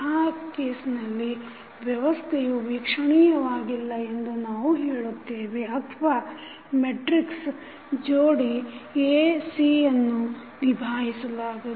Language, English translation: Kannada, In that case, we will say that the system is not observable or we can say that the matrix pair that is A, C is unobservable